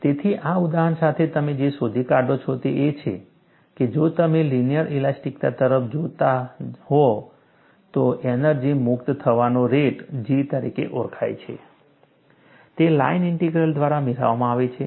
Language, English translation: Gujarati, So, with this example, what you find is, if you are looking at linear elasticity, the energy release rate which is known as G there, is obtained by a line integral